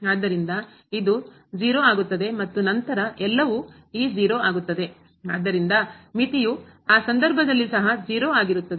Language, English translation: Kannada, So, this will become 0 and then everything will become this 0, so limit will be 0 in that case also